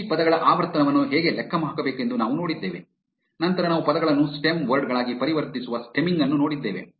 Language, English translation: Kannada, We also saw how to calculate the frequency of these words, then we looked at stemming which converts words into their stem words